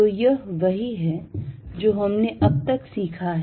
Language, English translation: Hindi, So, this is what we learnt so far